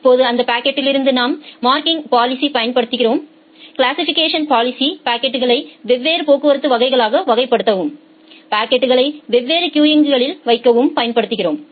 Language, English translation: Tamil, Now, from that packet you apply the marking policy, the classification policy to classify the packets into different traffic classes and put the packets into different queues